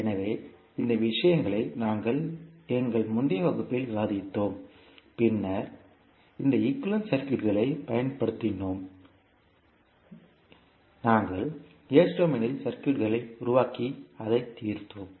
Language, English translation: Tamil, So, these things we discussed in our previous class and then we, utilized these, equivalent circuits and we created the circuit in s domain and solved it